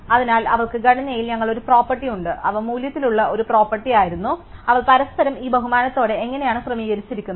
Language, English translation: Malayalam, So, they we have a property on the structure and they was a property on the value, so how they are arrange with this respect to each other